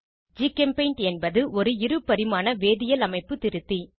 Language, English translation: Tamil, GChemPaint is a two dimensional chemical structure editor